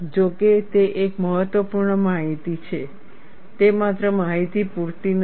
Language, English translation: Gujarati, Though it is important information, that information alone, is not sufficient